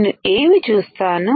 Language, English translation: Telugu, So, what will I see